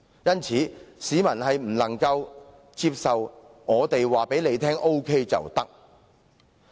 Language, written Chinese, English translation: Cantonese, 因此，市民不能接受"我們告訴你 OK 便沒有問題"的說法。, Hence people cannot accept the saying that if I tell you it is OK then it is OK